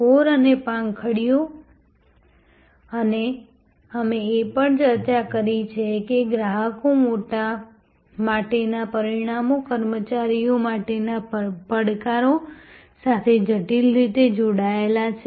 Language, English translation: Gujarati, The core and the petals and we have also discussed that the results for customers are intricately linked to the challenges for the employees